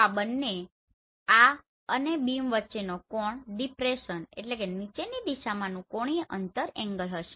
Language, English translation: Gujarati, So the angle between this and the beam will be depression angle